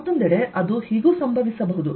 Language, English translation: Kannada, on the other hand, it could so happen